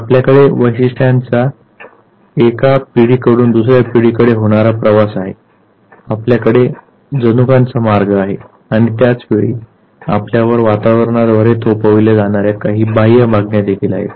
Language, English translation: Marathi, You have the passage of the traits, you have the passage of the genes and at the same time there are certain extraneous demands that environment impose on you